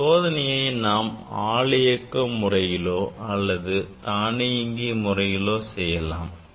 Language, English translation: Tamil, this experiment we can do in manual mode as well as automatic mode